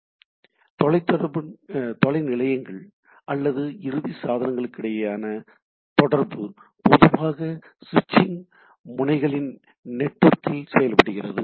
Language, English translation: Tamil, So, communication between distance stations or end devices is typically done over network of switching nodes